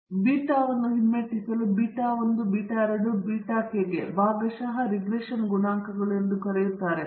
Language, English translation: Kannada, And again to retreat beta naught beta 1, beta 2, so on to beta k are called as partial regression coefficients